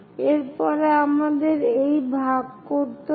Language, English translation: Bengali, After that we have to divide this one